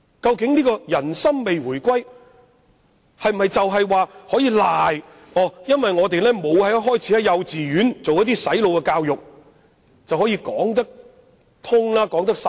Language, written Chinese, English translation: Cantonese, 究竟人心未回歸可否歸咎於我們沒有一開始便在幼稚園進行"洗腦"教育，這樣便可以解釋過去？, Can we attribute the failure of the reunification of peoples hearts to not implementing brainwashing education at kindergarten level?